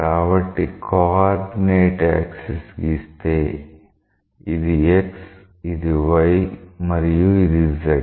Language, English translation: Telugu, So, we set up coordinate axis as this is x, this is y and this is z